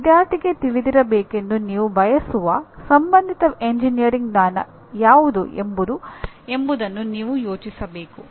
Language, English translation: Kannada, But you have to think in terms of what is the relevant engineering knowledge that you want the student to be aware of